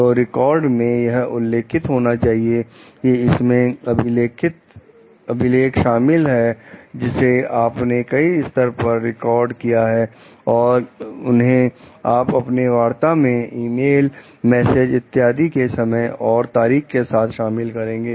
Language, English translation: Hindi, So, the records it mentions should include a log in which you record the steps that you take that is conversations, emails, messages etcetera, with time and date